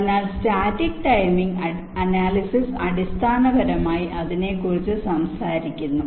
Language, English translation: Malayalam, so static timing analysis basically talks about that